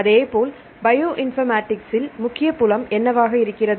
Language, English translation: Tamil, So, likewise in the case of the Bioinformatics, what is the major field in Bioinformatics